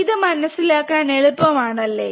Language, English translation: Malayalam, It is very easy to understand this thing, right